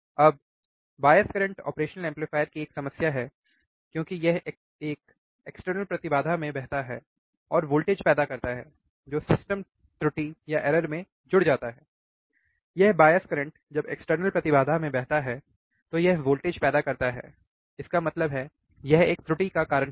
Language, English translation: Hindi, Now, bias current is a problem of the operation amplifier because it flows in external impedances and produces voltage which adds to system error, to reduce the system error or the bias current when it flows in the external impedances, right it produces voltage; that means, it will cause a error